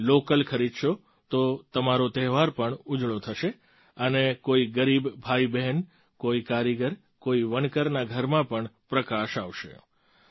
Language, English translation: Gujarati, If you buy local, then your festival will also be illuminated and the house of a poor brother or sister, an artisan, or a weaver will also be lit up